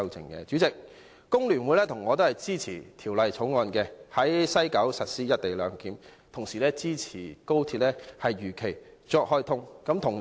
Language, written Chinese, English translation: Cantonese, 代理主席，我和工聯會均支持《條例草案》，在西九龍站實施"一地兩檢"，同時支持高鐵如期開通。, Deputy President FTU and I support the Bill for implementing the co - location arrangement in the West Kowloon Station